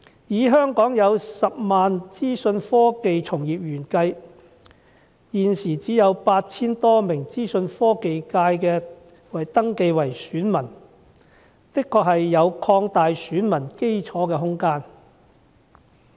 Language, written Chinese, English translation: Cantonese, 在香港10萬名資訊科技從業員中，現時只有 8,000 多名人士登記成為選民，因此的確有擴大選民基礎的空間。, Amongst the 100 000 information technology practitioners in Hong Kong only some 8 000 have registered as electors . Hence there is indeed room for broadening the electorate of the Information Technology FC